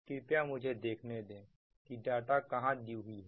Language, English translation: Hindi, ah, let me see where these data are